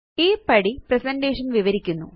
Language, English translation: Malayalam, This step describes the presentation